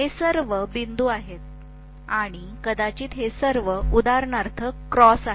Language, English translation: Marathi, These are all dot and maybe these are all cross for example